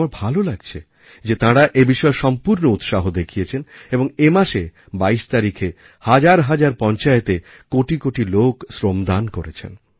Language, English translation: Bengali, I am happy that they have shown exemplary enthusiasm on this front and on 22nd of this month crores of people contributed free labour, Shramdaanacross thousands of panchayats